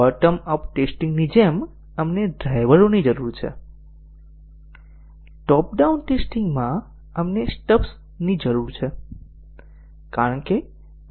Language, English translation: Gujarati, Just like in the bottom up testing, we need drivers, in top down testing, we need stubs